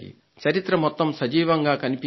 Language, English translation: Telugu, The entire history has been brought to life